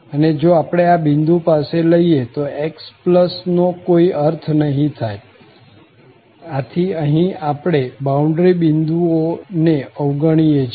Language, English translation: Gujarati, And, if we close it at this point, it does not make sense of x plus, so here, we have avoided the boundary points